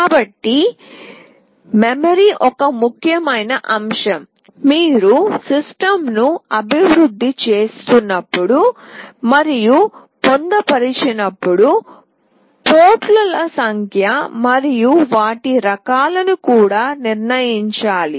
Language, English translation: Telugu, So, memory is an important factor that is to be decided when you develop and embedded system, number of ports and their types